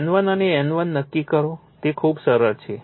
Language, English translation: Gujarati, Determine N1 and N2, a very simple one